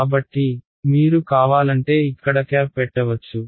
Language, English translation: Telugu, So, if you want you can put a hat over here